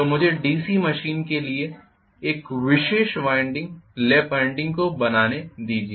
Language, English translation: Hindi, So let me try to draw this particular winding lap winding for DC machine